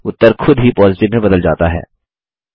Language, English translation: Hindi, The result automatically changes to Positive